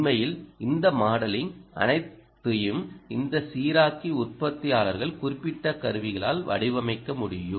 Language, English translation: Tamil, in fact, all this modeling, all this regulator itself, can be modeled by manufacturers, specific tools